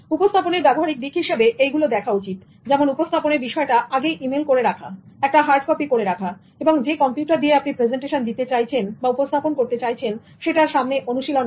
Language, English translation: Bengali, Presentation practicals need to be looked into such as emailing the presentation in advance or keeping a hard or spare copy and then rehearsing with the computer in which you are going to give the presentation